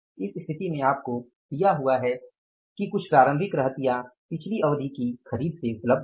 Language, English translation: Hindi, In this situation you are given that some opening stock is available from the previous periods purchases